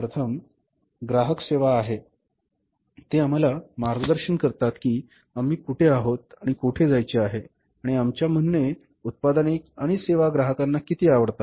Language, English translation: Marathi, First is the customer service, they guide us that where we are and where we want to go and how far our product and services are liked by the customers